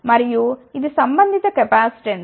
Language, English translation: Telugu, And, this is the corresponding capacitance